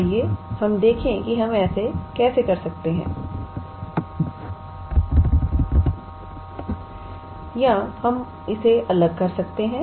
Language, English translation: Hindi, So, let us see how we can how we can do that or we can separate this